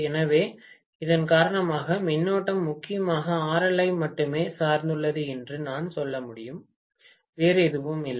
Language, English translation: Tamil, So, because of which I can say the current is mainly dependent upon RL only, nothing else, okay